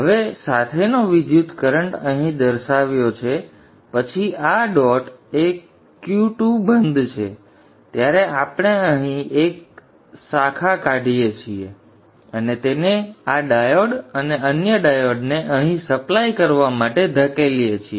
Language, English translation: Gujarati, Now current flows along as shown here then at this point Q2 is off we will take a branch out here and push it to the supply to this diode and another diode here